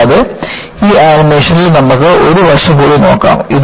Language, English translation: Malayalam, And, you can also look at one more aspect in this animation